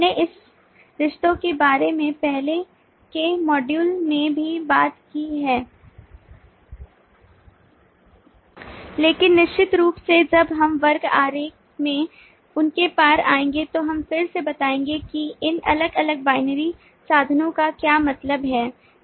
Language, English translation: Hindi, we have talked about these terms in earlier modules as well, but certainly when we come across them in the class diagram, we will again explain what these different binary association means